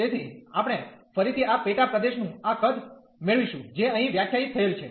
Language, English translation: Gujarati, So, we will get again this volume of this sub region, which is define here